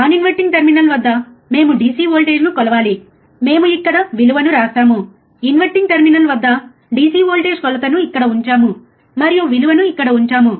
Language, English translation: Telugu, We have to measure the DC voltage at non inverting terminal, we put the value here, DC voltage inverting terminal measure here, and put the value here